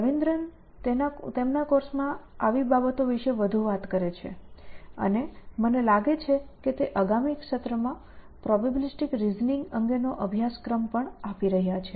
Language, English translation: Gujarati, Doctor Ravidran talks more about such things in his course and I think he is also offering a course on probabilistic reasoning next semester